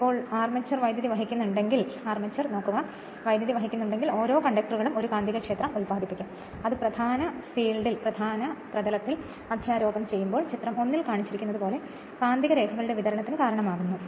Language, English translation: Malayalam, So, if so now, if the armature carries current each of the conductors will produce a magnetic field which when superimposed on the main field causes a distribution of magnet magnetic lines of flux as shown in your figure one